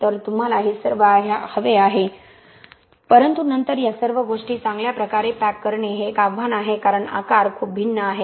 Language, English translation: Marathi, So you want all of these but then to pack these aggregates well is a challenge because the shape and the size are very different